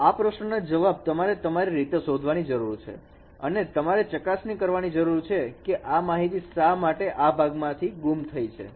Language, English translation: Gujarati, So this is a question you know you need to find out by yourselves and you check why why there is a no this information is missing in this part